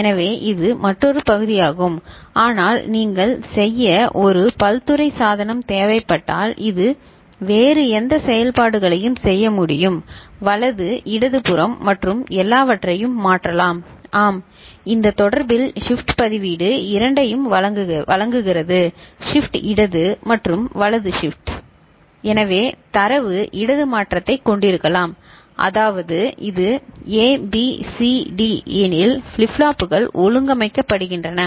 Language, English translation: Tamil, So, that is another part of it, but if you require a versatile device to do which can perform any different operations shift right, shift left and all those things yes, in this connection you need to remember the universal shift register offers both left shift and right shift ok, so that means, data can have a left shift; that means, if it is A, B, C, D this is the way the flip flops are organized